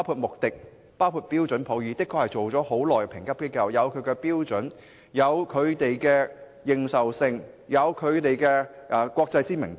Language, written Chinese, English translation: Cantonese, 穆迪、標準普爾等國際評級機構經營已久，自有其標準、認受性及國際知名度。, International rating agencies such as Moodys and Standard Poors have been in operation for a long time with their respective standards recognitions and international reputations